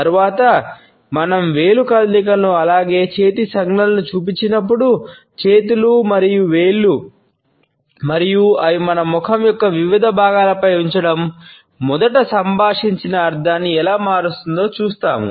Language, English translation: Telugu, Later on, when we would look at the finger movements as well as hand gestures, we would look at how hands and fingers and their placing on different parts of our face modify the originally communicated meaning